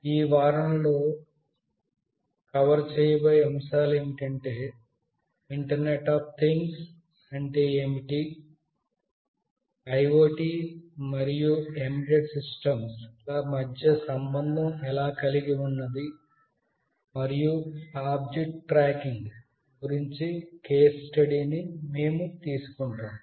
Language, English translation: Telugu, The concepts that will be covered in this week is what is internet of things, how we relate IoT and embedded systems, and we shall take a case study of object tracking